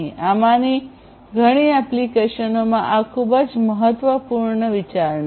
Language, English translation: Gujarati, So, this is a very important consideration in many of these applications